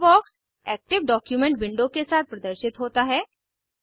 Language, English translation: Hindi, Toolbox is displayed along with the active document window